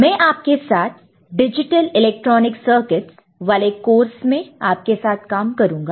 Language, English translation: Hindi, I shall be working with you in this course Digital Electronic Circuits